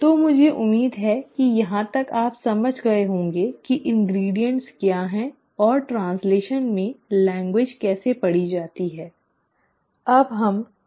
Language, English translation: Hindi, So I hope till here you have understood what are the ingredients and how the language is read in translation